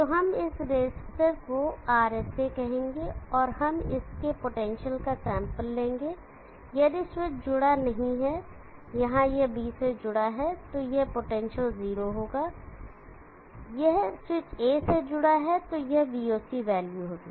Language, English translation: Hindi, Let us call this resistor RSA, and we will sample this potential if the switch is not connected, here it is connected to D, then this potential will be 0, this switch is connected to A it will be VOC value